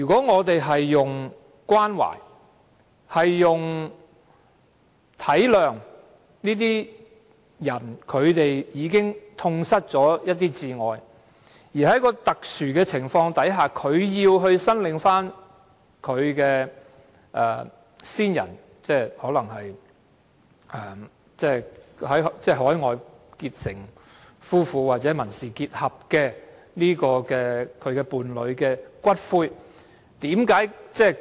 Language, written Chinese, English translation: Cantonese, 我們應關懷並體諒這些人已痛失摯愛，在一個特殊的情況下，他們要申領他們在海外結成夫婦或民事結合的伴侶的骨灰。, We should be caring and understanding towards these people who have lost their beloved ones . Under a special circumstance they have to claim the ashes of their partner whom they have married overseas or entered into a civil partnership